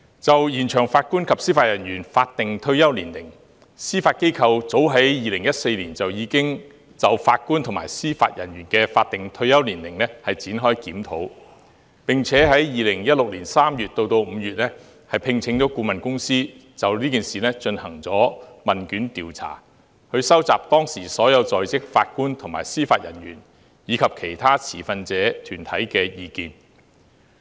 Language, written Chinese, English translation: Cantonese, 就延長法官及司法人員法定退休年齡，司法機構早於2014年已就法官及司法人員的法定退休年齡展開檢討，並於2016年3月至5月聘請顧問公司就此事進行問卷調查，以收集當時所有在職法官和司法人員，以及其他持份者團體的意見。, With regard to the extension of the statutory retirement age of Judges and Judicial Officers JJOs the Judiciary commenced a review of the statutory retirement age of JJOs in as early as 2014 and engaged a consultant to carry out a questionnaire survey on this matter from March to May 2016 to gather the views of all serving JJOs at that period and other stakeholders